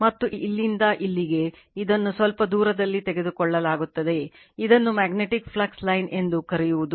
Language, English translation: Kannada, And this is any from here to here, it is taken some distance are right, this is your what to call the magnetic flux line